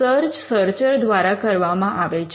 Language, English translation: Gujarati, And this search is done by the searcher